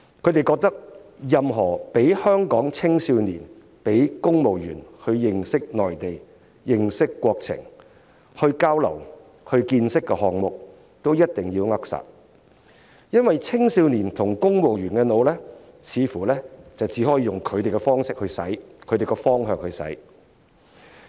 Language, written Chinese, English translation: Cantonese, 他們認為任何讓香港青少年和公務員認識內地、認識國情、交流和增長見識的項目，也一定要扼殺，因為青少年和公務員似乎只可以用他們的方式和方向去"洗腦"。, Any item allowing Hong Kong youngsters and civil servants to understand the Mainland make exchanges and broaden their horizon have to be smothered . It seems that youngsters and civil servants can only be brainwashed in the way and direction prescribed by those Members